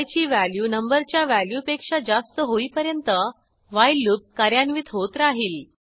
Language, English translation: Marathi, And the while loop is repeated till the value of i exceeds the value of number